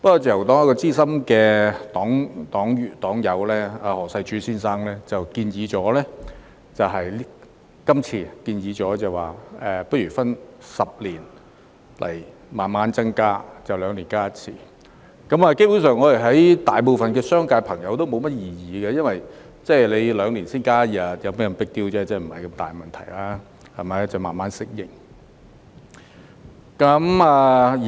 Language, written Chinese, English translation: Cantonese, 自由黨資深黨友何世柱先生建議分10年逐步增加假期，即每兩年增加一天，商界朋友對此基本上無甚異議，因為每兩年才增加一天假期，不算是 big deal， 沒有太大問題，可以慢慢適應。, A senior member of the Liberal Party Mr HO Sai - chu proposed to increase the number of holidays progressively over 10 years ie . increasing an additional day of holiday every two years . There is basically no objection from the business sector as it is not a big deal to increase an additional day of holiday every two years and businesses can gradually adapt to this change